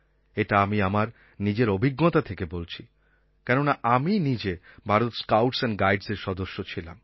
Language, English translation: Bengali, I state this from my own experience because I have served in the Bharat Scouts and Guides and this had a very good impact upon my life